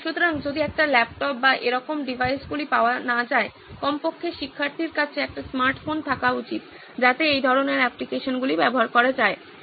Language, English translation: Bengali, So if a laptop or such devices are not available, at least a smartphone should be available with the student so that these kind of applications can be made use of